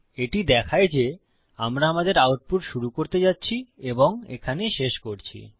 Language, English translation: Bengali, This shows that were going to start our output and this here will show that were ending our output